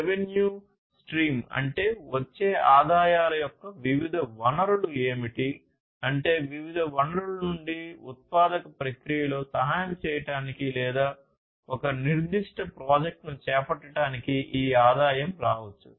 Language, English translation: Telugu, Revenue stream; revenue stream means like what are the different sources of the revenues that are coming in, what are the different sources that from different sources the revenue can come for helping in the manufacturing process or you know undertaking a particular project